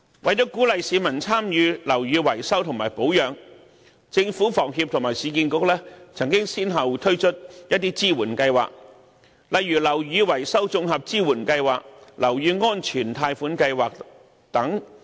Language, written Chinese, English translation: Cantonese, 為了鼓勵市民參與樓宇維修和保養，政府、房協和市建局曾先後推出一些支援計劃，例如樓宇維修綜合支援計劃和樓宇安全貸款計劃等。, To encourage public participation in building repairs and maintenance the Government HKHS and URA have successively launched some assistance programmes such as the Integrated Building Maintenance Assistance Scheme the Building Safety Loan Scheme etc